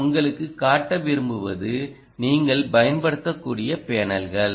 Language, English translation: Tamil, what i like to show you is the kind of panels that you are likely to use are something